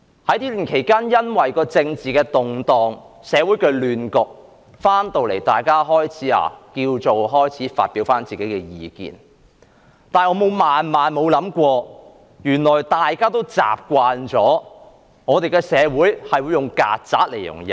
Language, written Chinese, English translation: Cantonese, 這段期間，政治動盪，社會出現亂局，大家回到這裏，開始發表個人意見，而我萬萬沒想過，原來大家已習慣了我們的社會會用"曱甴"來形容人。, This is a period marked with political turmoil and social unrest . When we are back here to begin expressing our views I do not expect that Members have grown so used to our society describing people as cockroaches